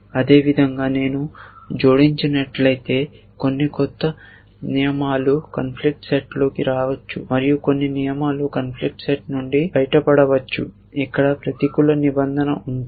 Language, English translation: Telugu, Likewise if I have add this some new rules may come into the conflict set and may be some rules might even go out of the conflict set, if there was a negative clause here